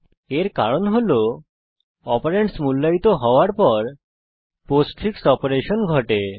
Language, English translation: Bengali, This is because the postfix operation occurs after the operand is evaluated